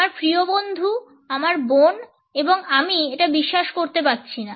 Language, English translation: Bengali, My best friend and my sister I cannot believe this